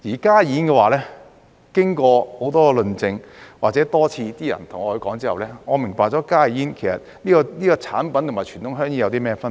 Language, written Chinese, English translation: Cantonese, 加熱煙的話，經過很多論證或人們多次對我說之後，我明白到加熱煙這種產品與傳統香煙有甚麼分別。, In the case of HTPs I have realized the differences between HTPs and conventional cigarettes after people have presented a lot of arguments or spoken to me many times